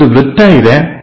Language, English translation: Kannada, There is a circle